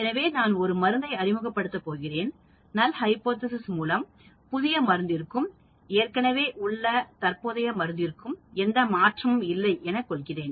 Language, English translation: Tamil, So if I am going to introduce a drug, the null hypothesis could be, there is no change in the existing drug as against the new drug